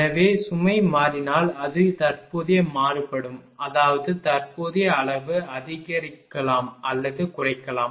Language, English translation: Tamil, So, if load changes it varies it cu[rrent] ; that means, current mag can increase or decrease